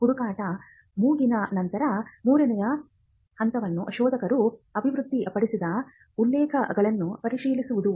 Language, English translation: Kannada, Once the search is done, the third step would be to review the references developed by the searcher